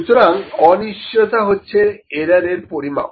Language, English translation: Bengali, So, uncertainty it is the estimate of the error